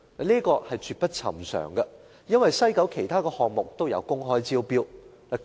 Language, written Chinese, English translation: Cantonese, 這絕不尋常，因為西九文化區其他項目都有公開招標。, This practice was very unusual because other projects in WKCD have to go through open tendering